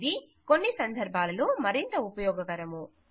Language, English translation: Telugu, It may be more useful in some cases